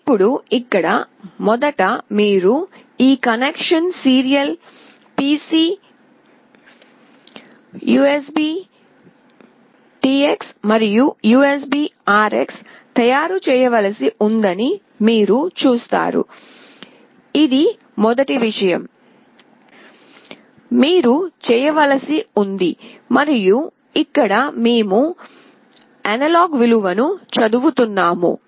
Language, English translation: Telugu, Now here, first you see we have to make this connection serial PC USBTX and USBRX this is the first thing, you have to do and here we are reading an analog value